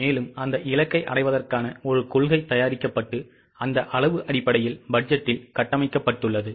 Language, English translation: Tamil, So, a policy to achieve that target is prepared and that policy in quantitative terms is built up in the budget